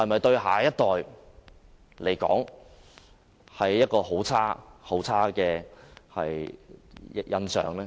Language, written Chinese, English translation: Cantonese, 對下一代來說，是否留下很差的印象？, Would this not leave a very bad impression to the younger generation?